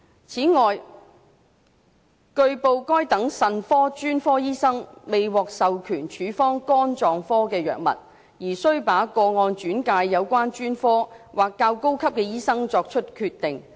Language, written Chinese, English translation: Cantonese, 此外，據報該等腎科專科醫生未獲授權處方肝臟科藥物，而須把個案轉介有關專科或較高級的醫生作決定。, In addition it has been reported that such nephrologists are not authorized to prescribe hepatology drugs and they have to refer such cases to the relevant specialists or more senior doctors for decision